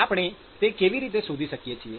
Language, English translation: Gujarati, how do we find that